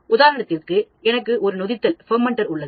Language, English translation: Tamil, For example, I have a fermenter